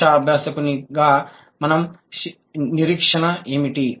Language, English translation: Telugu, What is our expectation as a language learner